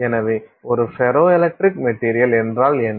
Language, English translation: Tamil, So, what is a ferroelectric material